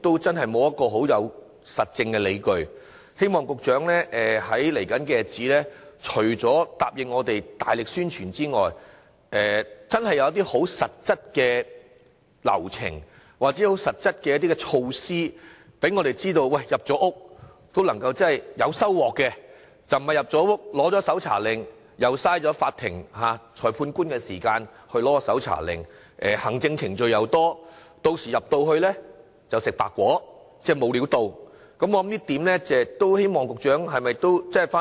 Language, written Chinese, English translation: Cantonese, 在未來的日子，希望局長除了答應我們會大力宣傳之外，真的會有實質的流程或措施，讓我們知道進入住宅搜證是有收穫的，取得搜查令不會浪費法庭、裁判官的時間，或需要繁多的行政程序，又或進入住宅後卻沒有任何收穫，希望局長回去三思這一點。, In the future I hope the Secretary will promise us that apart from stepping up publicity she will also lay down specific procedures or measures to convince us that collecting evidence in domestic premises is an effective means and obtaining search warrants is not a waste of time of the court and the magistrate and that there is no complicated administrative procedures and that efforts in searching domestic premises will not be futile . I hope the Secretary will later take this point into careful consideration